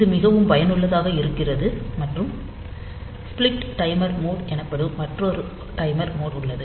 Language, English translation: Tamil, So, this is very useful and there is another timer mode which is known as a split timer mode